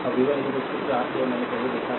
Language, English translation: Hindi, Now, v 1 is equal to 4 I we have seen earlier